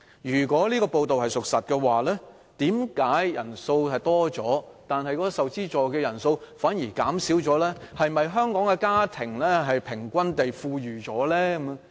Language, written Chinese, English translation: Cantonese, 如果屬實，為何學生人數增加，但受資助的人數反而減少，是否香港的家庭平均富裕了？, If it is true why are there fewer students receiving subsidies when the number of students has increased? . Are families in Hong Kong generally getting richer now?